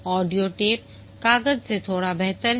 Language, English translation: Hindi, Audio tape is slightly better than paper